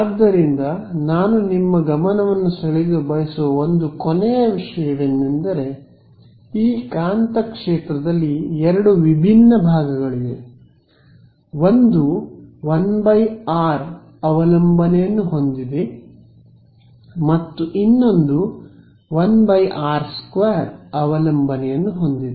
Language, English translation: Kannada, So, just; so, one last thing I’d like to draw your attention to is that there are two different parts of this magnetic field, one has a 1 by r dependence and the other has a 1 by r square difference